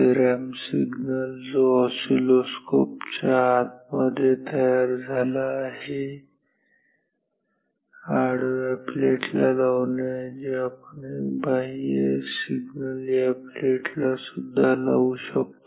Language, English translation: Marathi, Instead of applying this ramp across this horizontal plate, which is generated internally in the oscilloscope, we can apply a external signal across this plate as well